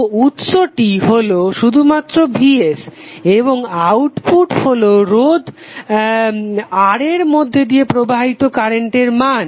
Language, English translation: Bengali, So the source is only Vs and the output which we want to measure is current flowing through resistor R